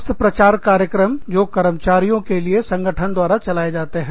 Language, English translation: Hindi, Health promotion programs, that are conducted by the organization, for its employees